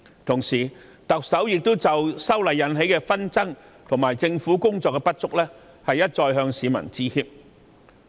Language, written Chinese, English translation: Cantonese, 同時，特首亦已就修例引起的紛爭和政府工作的不足一再向市民致歉。, Meanwhile the Chief Executive has repeatedly apologized to the public for the controversies arising from the amendment and the deficiencies in the work of the Government